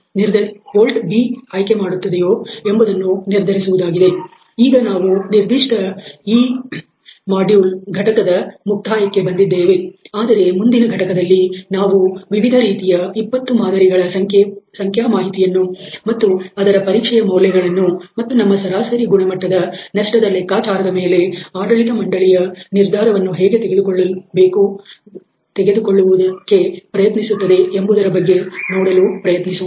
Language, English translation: Kannada, So, we are towards the end of this particular module though, but in the next module, we will try to a look at the data for all these different 20 specimens and their test values and try to take a management decision based on our average quality loss calculated